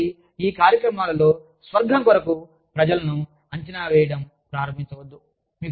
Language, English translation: Telugu, Please, in these programs, for heaven's sake, do not start assessing people